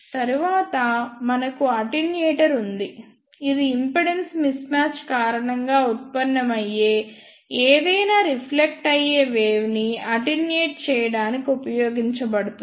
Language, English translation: Telugu, And next we have a attenuator which is used to attenuate any reflected wave generated due to the impedance mismatching